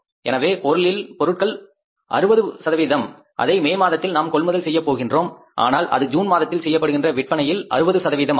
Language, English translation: Tamil, So, material cost will be 60% which we will be purchasing in the month of May, but that 60% will be of the sales we are going to do in the month of June